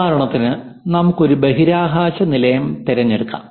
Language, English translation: Malayalam, For example, let us pick a space station